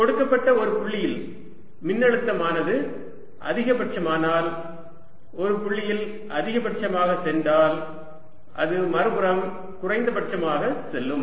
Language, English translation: Tamil, right, and therefore at a given point, if the potential is going to a maxim through a maximum at one point, it will go through a minimum on the other side